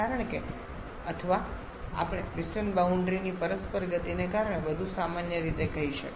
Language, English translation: Gujarati, Because or we can say in more general way because of the reciprocating motion of the system boundary